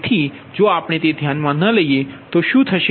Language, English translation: Gujarati, so if, if we do not consider that, then what will happen